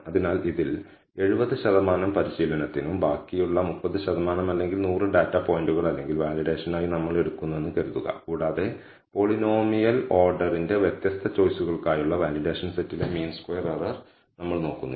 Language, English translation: Malayalam, So, suppose we take 70 percent of this for training and the remaining 30 percent or 100 data points or so for validation and we look at the mean squared error on the validation set for different choices of the polynomial order